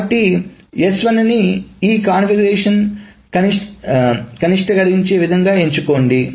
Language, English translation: Telugu, So choose that S1 that minimizes this configuration